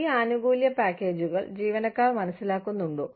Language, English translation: Malayalam, Do the employees, understand these benefits packages